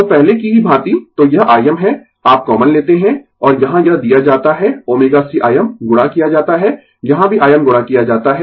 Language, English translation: Hindi, So, same as before, so this is I m you take common, and here it is given omega c I m multiplied, here also I m multiplied